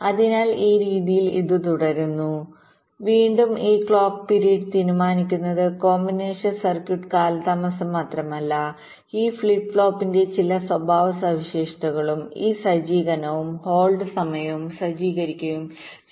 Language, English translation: Malayalam, this clock period will be decided not only by the combination circuit delay, but also some characteristics of this flip flop, this set up and hold times